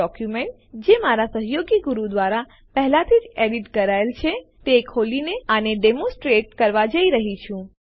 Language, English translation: Gujarati, I am going to demonstrate this by opening a document, which has already been edited by my colleague Guru